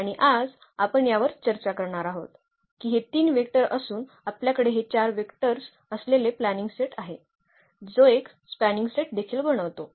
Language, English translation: Marathi, And this is what we will discuss today that having these 3 vectors we have a spanning set having this 4 vectors, that also form a spanning set